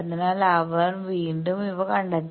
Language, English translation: Malayalam, So, he has again find out these